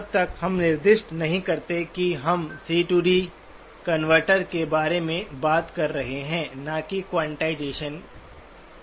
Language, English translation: Hindi, Unless we specify we are talking about a C to D converter, not a quantization part